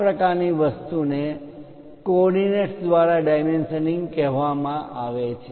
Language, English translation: Gujarati, This kind of thing is called dimensioning by coordinates